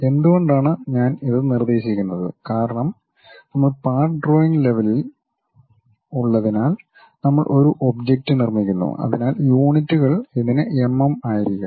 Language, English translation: Malayalam, Why I am suggesting this is because we are at part drawing level we construct an object with so and so units may be mm for this